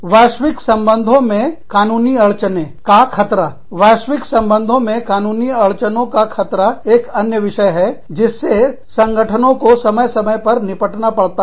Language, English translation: Hindi, Litigation risks in global relations, global labor relations, are another issue, that organizations deal with, from time to time